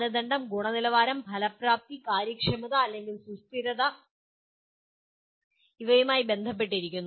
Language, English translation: Malayalam, Criteria can be related to quality, effectiveness, efficiency, or and consistency